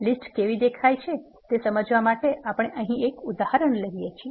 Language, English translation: Gujarati, To illustrate how a list looks, we take an example here